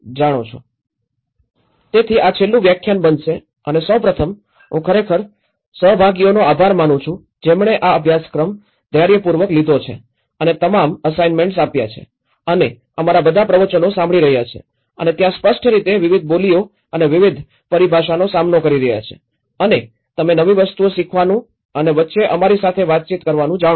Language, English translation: Gujarati, So, this is going to be the last lecture and first of all, I really thank all the participants who have taken this course patiently and giving all the assignments and listening to all our lectures and there are obviously coping with different dialects and different terminology and you know learning new things and also interacting with us in between